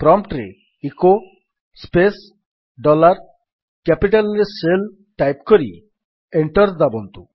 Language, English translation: Odia, Type at the prompt: echo space dollar SHELL in capital and press Enter